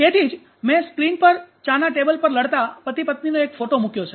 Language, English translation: Gujarati, So that is why I also projected on the screen one picture of husband and wife fighting on tea tables